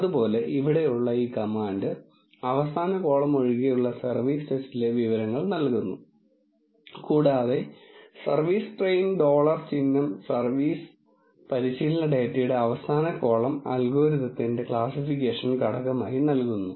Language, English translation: Malayalam, Similarly, this command here gives the information in the service test except the last column and service train dollar symbol service gives the last column of the training data as a classification factor for the algorithm